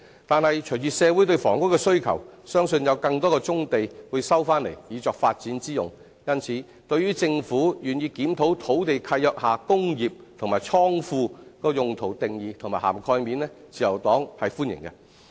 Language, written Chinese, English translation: Cantonese, 但是，隨着社會對房屋的需求，相信有更多棕地會收回作發展之用，因此，對於政府願意檢討土地契約下"工業"及"倉庫"用途的定義和涵蓋面，自由黨是歡迎的。, However with the growing demand for housing from the community I believe that more brownfield sites will be resumed for development . The Liberal Party thus welcomes the initiative of the Government in reviewing the definition and coverage of industrial and godown uses in land leases